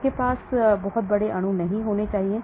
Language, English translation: Hindi, You cannot have very large molecule